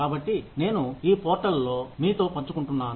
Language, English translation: Telugu, So, I am sharing it with you, on this portal